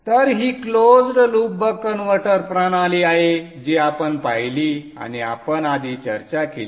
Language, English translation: Marathi, So this is the closed loop buck converter system that we saw and we discussed previously